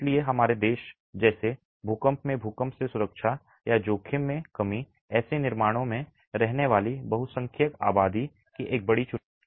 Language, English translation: Hindi, So, in a country like ours, earthquake protection or risk reduction in earthquakes of predominant majority of the population living in such constructions is a big challenge